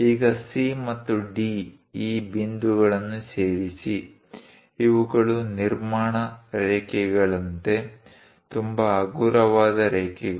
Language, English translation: Kannada, Now, join these points C and D; these are more like construction lines, very light lines